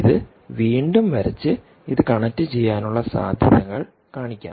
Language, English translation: Malayalam, so let me redraw this and show that this is a possibility